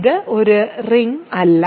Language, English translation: Malayalam, So, it is not a ring